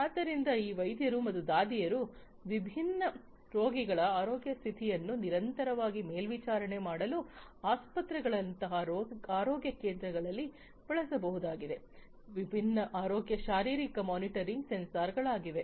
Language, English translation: Kannada, So, this is a an application of different healthcare physiological monitoring sensors, which can be used in the health care centers health care centers such as hospitals etc for continuously monitoring the health condition of different patient by the doctors, nurses and so on